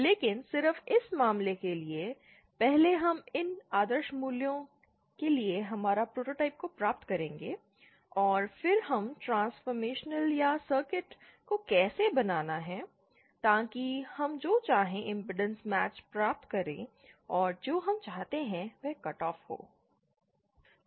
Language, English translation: Hindi, But just for this case, 1st we will be deriving our prototypes for these idealised values and then we shall be finding the transformation or how to transform the circuit so that we get whatever impedance matching we want and whatever cut off frequency that we want